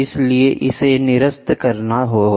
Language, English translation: Hindi, So, that has to be nullified